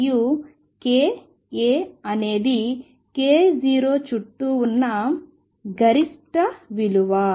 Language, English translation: Telugu, And this k a is peak around k 0